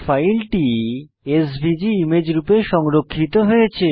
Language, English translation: Bengali, Here we can see that file is saved as a SVG image